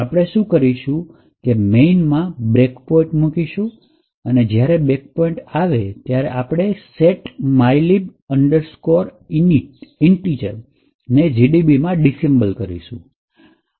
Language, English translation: Gujarati, So, what we do is we set a breakpoint in main and then when the breakpoint is hit, we do a disassemble setmylib int in GDB